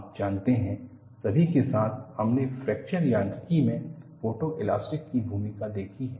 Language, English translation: Hindi, You know, all along, we have seen the role of photo elasticity in fracture mechanics